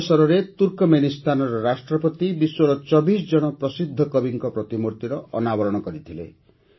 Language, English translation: Odia, On this occasion, the President of Turkmenistan unveiled the statues of 24 famous poets of the world